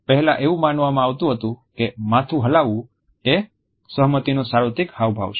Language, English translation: Gujarati, Earlier it was thought that nodding a head is a universal gesture of agreement